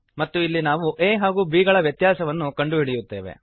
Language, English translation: Kannada, And here we calculate the difference of two numbers a and b